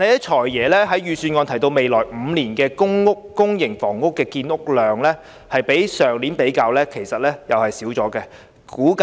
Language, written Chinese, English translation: Cantonese, "財爺"在預算案提到未來5年的公營房屋建屋量，今年的數目少於去年。, The public housing production for the next five years mentioned by the Financial Secretary in this years Budget is less than that of last year